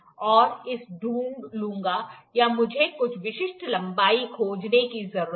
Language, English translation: Hindi, I will find it or I need to find some specific length